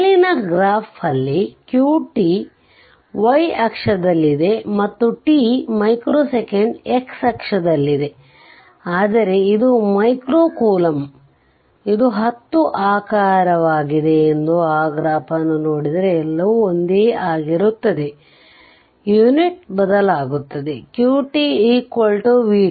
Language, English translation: Kannada, So, if you look at the graph that qt this is this is my q t y axis is q t and this is my t micro second, but this micro coulomb, it is 10 the shape remain same everything will remain same right only thing is that unit will change because q t is equal to basically v t right